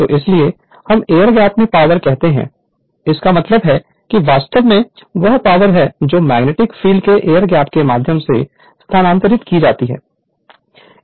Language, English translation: Hindi, So, that is why we call power across air gap; that means, power actually is what you call transferred right through the air gap the where you have the magnetic field right